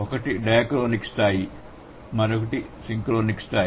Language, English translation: Telugu, One is the dichronic level, the other one is the synchronic level